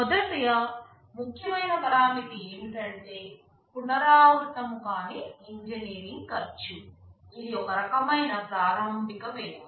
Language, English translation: Telugu, First important parameter is called non recurring engineering cost, this is some kind of initial cost